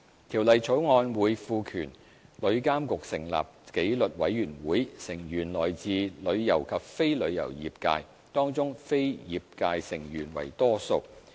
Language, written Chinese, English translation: Cantonese, 《條例草案》會賦權旅監局成立紀律委員會，成員來自旅遊及非旅遊業界，當中非業界成員為多數。, The Bill will empower TIA to establish a disciplinary committee the members of which are to be drawn from both within and outside the travel trade with non - trade members being in the majority